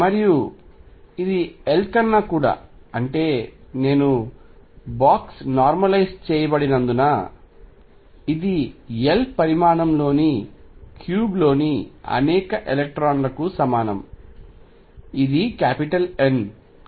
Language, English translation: Telugu, And this is since I have box normalized over L this is equal to a number of electrons in cube of size L which is n right